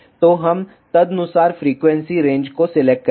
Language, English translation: Hindi, So, we will select the frequency range accordingly